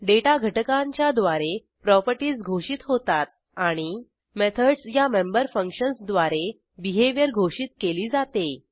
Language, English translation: Marathi, Properties are defined through data elements and Behavior is defined through member functions called methods